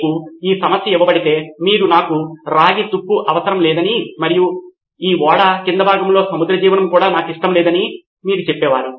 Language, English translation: Telugu, If you were given this problem and you would have said I want no copper corrosion and I do not want marine life on this ship